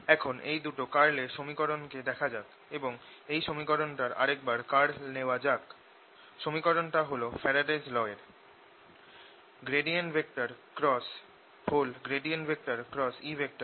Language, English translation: Bengali, let us look at the two curl equations and take the curl of this equation, the faradays law equation